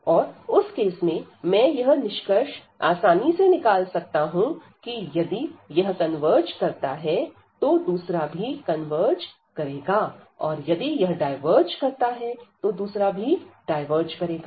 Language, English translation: Hindi, And in that case, we can conclude easily that if this converges the other one will also converge and if this converge this was also converge